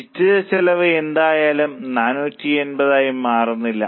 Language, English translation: Malayalam, Fix cost anyway doesn't change which is 480